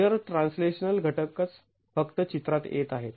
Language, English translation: Marathi, Only translational components of shear are coming into the picture